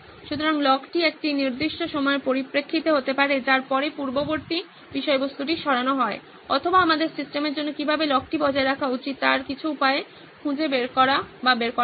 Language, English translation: Bengali, So the log could either be in terms of a certain period of time after which previous content is removed or we should find or figure out some way of how the log should be maintained for the system